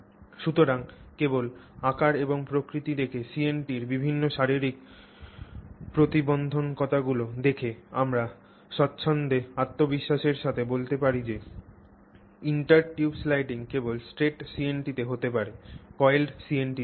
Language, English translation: Bengali, So, just by looking at the morphology and given the various physical constraints placed on the CNT, we can say with a fair degree of, you know, confidence that intertube sliding can exist only in straight CNTs not in coiled CNTs